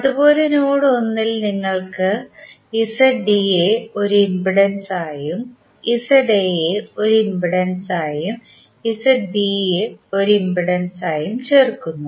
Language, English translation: Malayalam, Similarly in node 1 you are joining Z D as a impedance and Z A as an impedance and Z B as an impedance